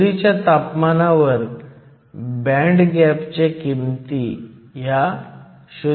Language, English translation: Marathi, The band gap values at room temperature 0